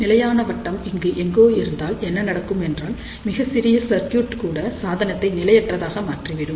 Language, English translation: Tamil, So, what will happen if the stability circle is somewhere here that means, that even a short circuit will make this device unstable